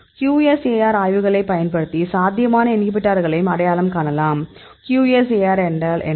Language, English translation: Tamil, So, we can also identify the potential inhibitors using the QSAR studies; what is a QSAR